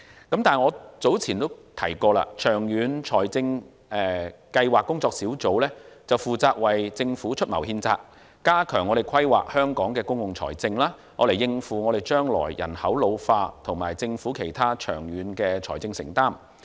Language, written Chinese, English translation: Cantonese, 但是，我早前提到，長遠財政計劃工作小組，負責為政府出謀獻策，加強規劃香港的公共財政，以應付將來人口老化及政府其他長遠財政承擔。, However as I mentioned earlier the Working Group on Long - Term Fiscal Planning is vested with the task of conceiving ways for the Government to enhance Hong Kongs public finance planning as a means of coping with problems arising from population ageing and its other long - term financial commitments